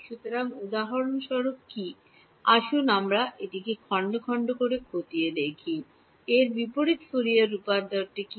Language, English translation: Bengali, So, what is for example, let us look at part by part, what is the inverse Fourier transform of this beta tilde